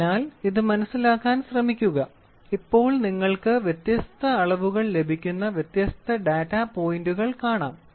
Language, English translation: Malayalam, So, please try to understand and now you see varying data points you get varying measurements